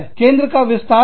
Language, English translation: Hindi, How wide is the focus